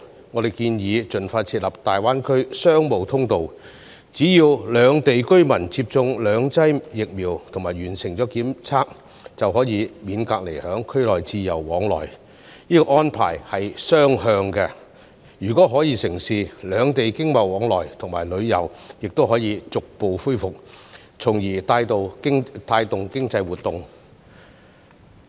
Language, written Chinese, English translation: Cantonese, 我們建議盡快設立"大灣區商務通道"，只要兩地居民接種兩劑疫苗及完成檢測，便可免隔離在區內自由往來，這安排是雙向的，如果可以成事，兩地經貿往來和旅遊亦能逐步恢復，從而帶動經濟活動。, We propose to establish a Greater Bay Area Business Channel as soon as possible so that residents of the two places can be exempted from quarantine and travel freely between the two places as long as they have received two doses of vaccines and completed testing . This mutual arrangement if implemented economic and trade exchanges and tourism between the two places can be gradually resumed thus boosting economic activities